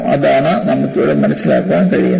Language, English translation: Malayalam, That is what you can make out here